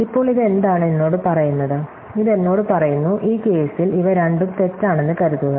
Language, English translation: Malayalam, So, now what is this tell me, so this tells me that supposing in this case, that these are both false